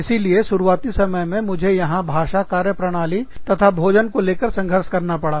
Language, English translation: Hindi, So, initially, i struggled with the language, the way of working, the food, here